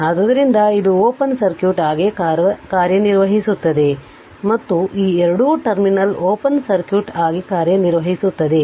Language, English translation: Kannada, So, it will act as a it will act as open circuit this two terminal will act as open circuit